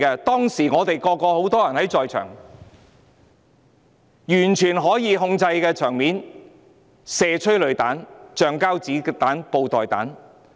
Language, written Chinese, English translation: Cantonese, 當時我們有很多人在場，場面是完全可以控制的，但警方卻選擇發射催淚彈、橡膠子彈、布袋彈。, At that time many of us were present and the whole scene was completely controllable . But the Police chose to fire tear gas rubber bullets and bean bag rounds